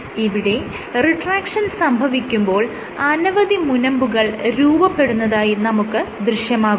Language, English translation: Malayalam, So, what you see on the retraction is the formation of these multiple bumps